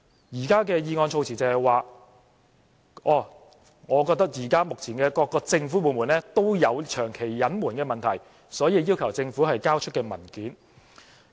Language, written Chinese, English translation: Cantonese, 現在的議案措辭是，他認為目前各個政府部門也有長期隱瞞的問題，所以要求政府交出文件。, The current wording of the motion says he thinks all government departments have a problem of withholding information for a prolonged period of time therefore he requests the Government to hand over documents